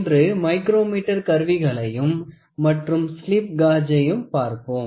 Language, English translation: Tamil, So, today we will see micrometer instruments and even see also slip gauges